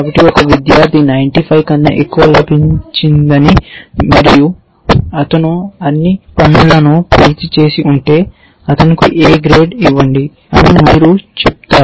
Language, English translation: Telugu, So, you have said if a student has got more than 95 and he has done all the assignments then give an a grade